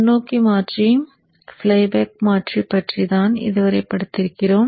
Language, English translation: Tamil, We have studied till now the forward converter and the flyback converter in the isolated class